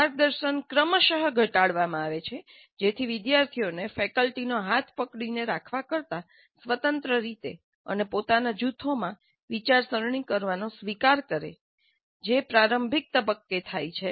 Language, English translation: Gujarati, And guidance is reduced progressively so that students get adapted to thinking independently and in groups of their own without the kind of handholding by the faculty which happens in the initial stages